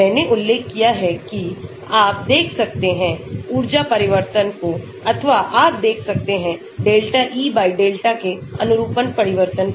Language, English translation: Hindi, I mentioned that, you can look at the change in energy or you can look at the delta e/delta change in the conformation